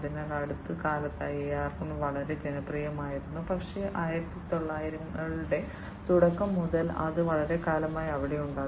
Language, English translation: Malayalam, So, AR has become very popular in the recent times, but it has been there since long starting from early 1900s